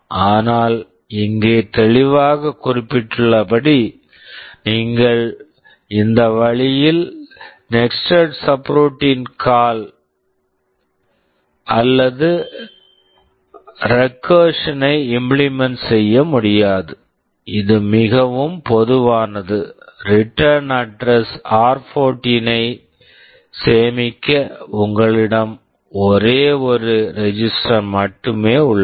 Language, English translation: Tamil, But it is clearly mentioned here that in this way you cannot implement nested subroutine call or recursion, which is so common; you see here you have only one register to store the return address r14